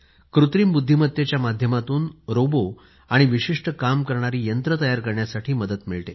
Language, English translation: Marathi, Artificial Intelligence aids in making robots, Bots and other machines meant for specific tasks